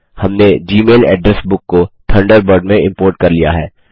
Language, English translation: Hindi, We have imported the Gmail address book to Thunderbird